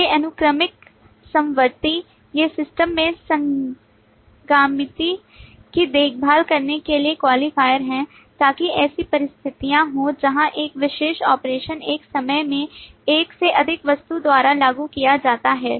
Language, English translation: Hindi, these are qualifiers to take care of concurrency in the system so that there are situations where a particular operation maybe invoked by more than one object at a time